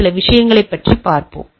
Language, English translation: Tamil, We will see some of the things